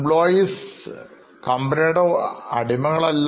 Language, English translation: Malayalam, So, employees are not our slaves